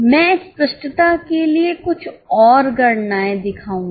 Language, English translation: Hindi, I will show some more calculations for clarity